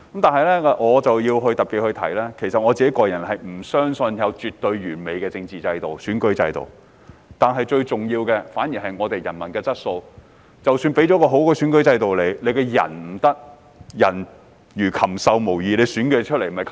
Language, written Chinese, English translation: Cantonese, 但是，我要特別指出，我不相信有絕對完美的政治制度和選舉制度，最重要的反而是人民的質素，因為即使有很好的選舉制度，但人民的質素不好也不行。, Yet I wish to point out particularly that I do not believe there are absolutely perfect political and electoral systems . Rather what matters most is the quality of the people because if the people are of an inferior quality even a sound electoral system will not work